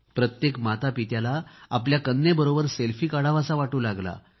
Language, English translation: Marathi, Every parent started feeling that they should take a selfie with their daughter